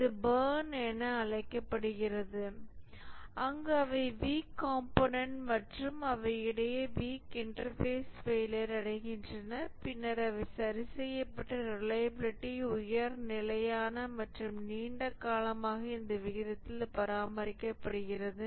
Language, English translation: Tamil, So this is called as the burn in where the weaker components and weaker interfaces among components they fail and then they are repaired and the reliability becomes high, stable and maintained in this rate for a long time